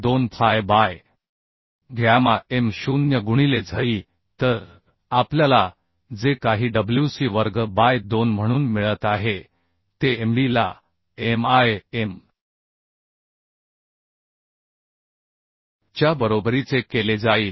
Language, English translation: Marathi, 2 fy t square by gamma m0 right and this we will make equal to WC square by 2 So from this we can derive t as C root over 2